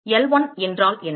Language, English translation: Tamil, What is L1